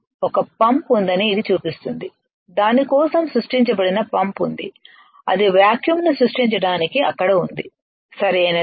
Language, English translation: Telugu, It shows this one it shows there is a pump there is a pump that is created for that is there is there for creating vacuum, right